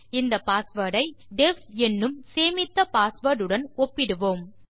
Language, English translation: Tamil, Were going to compare the password to def, which is the stored password